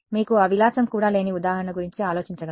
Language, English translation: Telugu, Can you think of an example where you do not even have that luxury